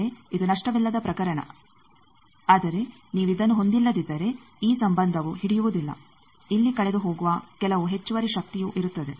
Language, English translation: Kannada, Again this is the lossless case, but if you do not have this then this relationship will not hold there will be also some additional power that is lost here